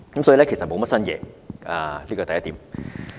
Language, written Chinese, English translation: Cantonese, 所以，預算案並無新猷，這是第一點。, That is to say nothing new has been proposed in the Budget . This is my first point